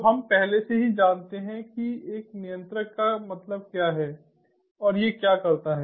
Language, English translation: Hindi, so we already know what what a controller means and what it does